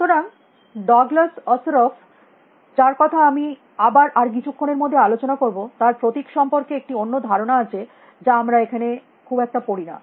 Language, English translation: Bengali, So, Douglas Osheroff who I will talk about again in a moment has a different notion of a symbol which we will not peruse very much here